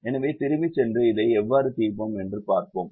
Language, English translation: Tamil, so let's go back and see how we solve this